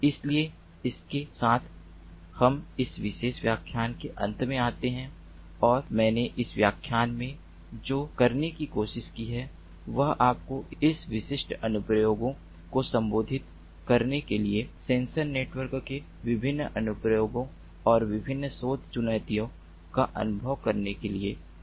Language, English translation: Hindi, so with this we come to an end of this particular lecture, and what i have tried to do in this lecture is to give you a feel of the different applications of sensor networks and the different research challenges in order to address those specific applications